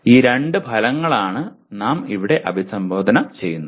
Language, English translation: Malayalam, These are the two outcomes that we will address here